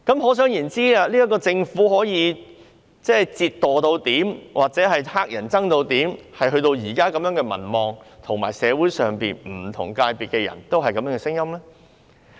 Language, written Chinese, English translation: Cantonese, 可想而知，這個政府是多麼令人討厭，民望有多低，令現時社會上不同界別的人士也發出相同的聲音。, One can well imagine how disgusting this Government is to the public and how low its popularity rating is when people from different sectors in society are now giving out a unanimous voice